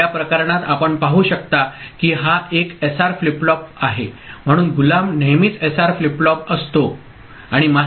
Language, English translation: Marathi, In this case you see that this is one SR flip flop, so the slave is always SR flip flop ok